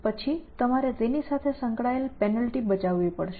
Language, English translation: Gujarati, Then you would have to save a penalty associated with that